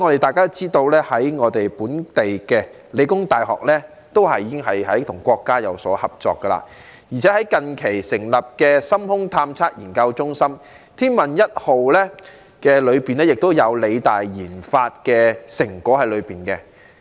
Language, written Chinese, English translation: Cantonese, 大家也知道香港理工大學已與國家有所合作，而且近期更成立深空探測研究中心，天問一號也有理大研發的成果在內。, As we all know The Hong Kong Polytechnic University PolyU is now cooperating with our country and has recently set up the University Research Centre for Deep Space Explorations . PolyU even contributed to the Tianwen - 1 mission with its research and development efforts